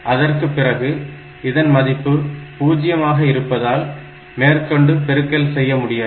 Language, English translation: Tamil, So, after that this value has become 0, there is no point doing the multiplication again